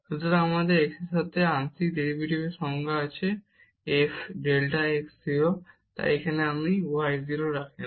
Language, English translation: Bengali, So, we have the definition of the partial derivative with respect to x so, f delta x 0, so here if you put y 0